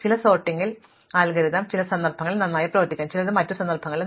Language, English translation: Malayalam, Some sorting algorithm may work well in some context, some in other contexts